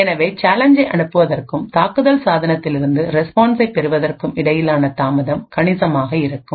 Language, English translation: Tamil, Therefore, the delay between the sending the challenge and obtaining the response from an attacker device would be considerable